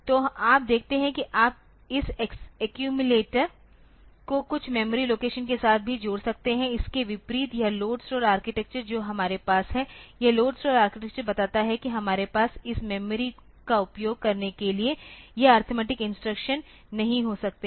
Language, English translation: Hindi, So, you see that you can also add this accumulator with some memory location, in contrast so, this load store architecture that we have so, this load store architecture tells that we cannot have this arithmetic instructions to use this to use this memory like you cannot have this type of ADD say R1 comma M